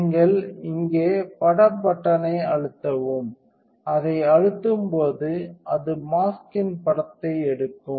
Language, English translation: Tamil, So, you press grab image button over here and when you press that when it does it takes a picture of the mask